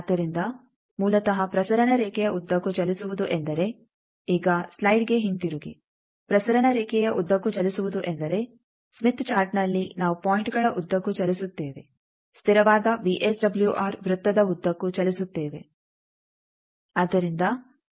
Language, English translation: Kannada, So, basically moving along transmission line means; now come back to the slide that moving along the transmission line means, in the Smith Chart we move along points move along a constant VSWR circle